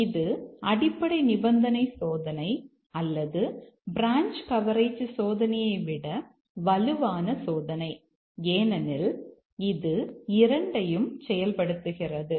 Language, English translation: Tamil, And therefore, this is a stronger testing than the basic condition testing or the branch coverage testing because it achieves both of this